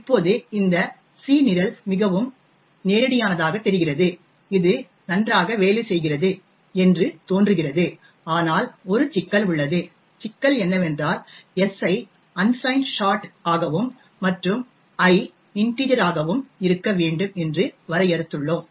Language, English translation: Tamil, Now this C program seems pretty straightforward it seems to be working fine but there is a problem, the problem is that we have defined s to be unsigned short and i to be of integer